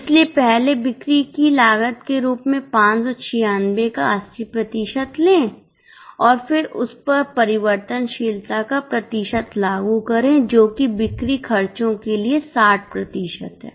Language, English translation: Hindi, So, first take 80% of 596 as the selling cost and then on that apply the percentage of variability which is 60% for selling expenses